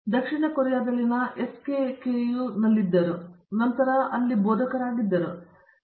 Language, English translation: Kannada, She was also at the SKKU in South Korea so and after all that she is been a faculty here